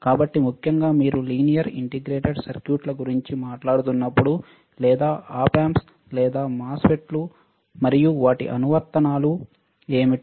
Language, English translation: Telugu, So, particularly when you are talking about linear integrated circuits or op amps or MOSFET's and their applications what are the applications